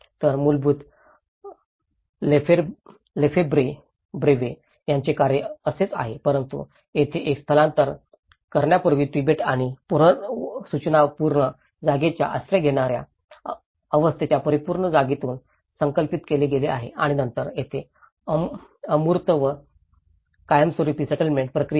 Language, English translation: Marathi, So, originally the Lefebvreís work is like this but in here it has been conceptualized from the absolute space which the Tibet before migration and the pre abstract space which is an asylum seeker stage and then this is where the permanent settlement process from the abstract and the conflicted and a differential space